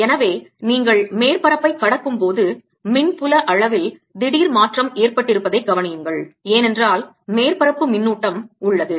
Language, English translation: Tamil, so notice there is a change, sudden change, in the electric field magnitude as you cross the surface and that is because there is a surface charge